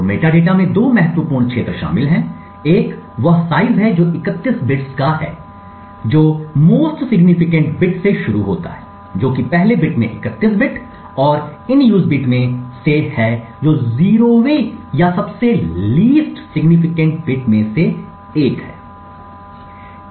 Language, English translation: Hindi, So the metadata comprises of two important fields, one is the size which is of 31 bits starting from the most significant bit which is the 31st bit to the first bit and the in use bit which is of which is the 0th or the least significant bit